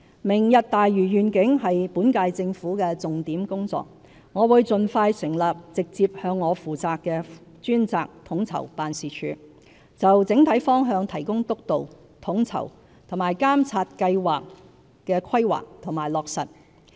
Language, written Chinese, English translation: Cantonese, "明日大嶼願景"是本屆政府的重點工作，我會盡快成立直接向我負責的專責統籌辦事處，就整體方向提供督導，統籌並監察計劃的規劃及落實。, As the Lantau Tomorrow Vision is a priority area of the current - term Government I will set up as soon as possible a dedicated coordination office which is directly accountable to me to steer the overall direction as well as coordinate and monitor the planning and implementation of the programme